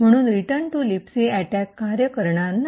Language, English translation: Marathi, Therefore, it the return to libc attack would not work